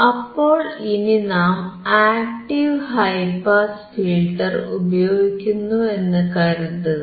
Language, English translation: Malayalam, What about active high pass filter